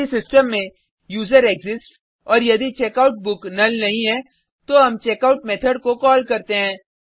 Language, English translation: Hindi, If userExists in the system and if the checkout book is not null, we call checkout method